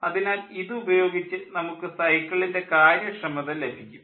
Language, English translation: Malayalam, so with this we will have the cycle efficiency